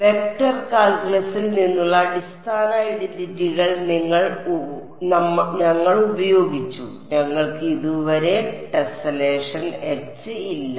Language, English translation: Malayalam, We just used basic identities from vector calculus; we do not have H the tessellation so far